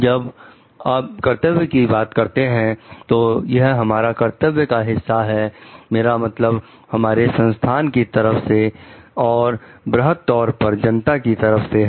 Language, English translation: Hindi, When you talk of duty, it is a part of our duty I mean towards the organization, towards the public at large